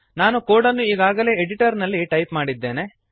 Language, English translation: Kannada, Let us look at an example I have already typed the code on the editor